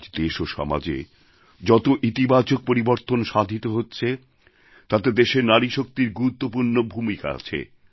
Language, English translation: Bengali, The country's woman power has contributed a lot in the positive transformation being witnessed in our country & society these days